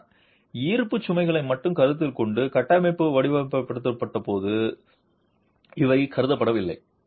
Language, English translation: Tamil, But these have not been considered when the structure is being designed considering only the gravity loads